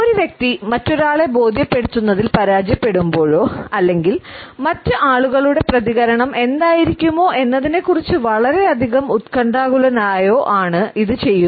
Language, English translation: Malayalam, It is usually done by a person when he or she fails to convince the other person or is too anxious about what is likely to be the reaction of the other people